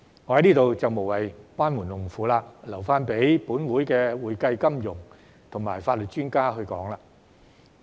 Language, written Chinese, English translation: Cantonese, 我在此也無謂班門弄斧，留待本會的會計、金融及法律專家評論。, Here I had better not show off my amateurish knowledge in front of experts and I will leave it for the accounting financial and legal experts in this Council to comment